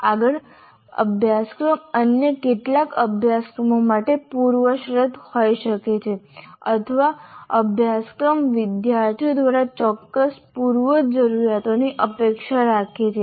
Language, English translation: Gujarati, And further, a course may be a prerequisite to some other course or a course expects certain prerequisites to be fulfilled by the students